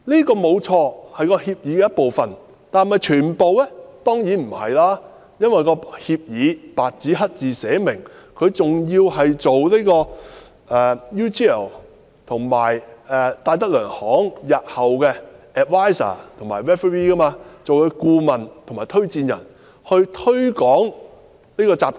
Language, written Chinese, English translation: Cantonese, 當然不是了。因為，該協議白紙黑字寫明，他是需要擔任 UGL 和戴德梁行日後的顧問和推薦人，並推廣這個集團。, Of course not because it has been put in black and white on the agreement that he is required to act as an adviser and referee of UGL and DTZ in the future and to promote that group